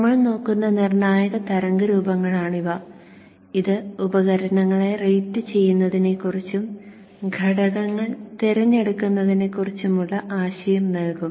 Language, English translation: Malayalam, These are critical waveforms which we will look at and that will give us an idea of how to go about rating the devices and selecting the components